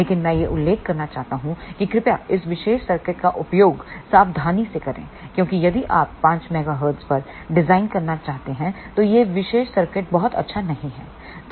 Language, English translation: Hindi, But I want to mention that please use this particular circuit little carefully because this particular circuit is not very good if you want to design at 5 megahertz